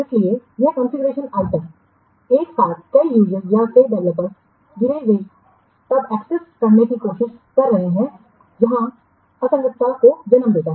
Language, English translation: Hindi, So, one configuration item simultaneously many users or many developers they are trying to assess, it will lead to inconsistency